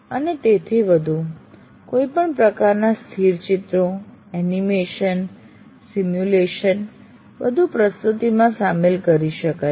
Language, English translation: Gujarati, And on top of that, any kind of still pictures, animations, simulations can all be included in the presentation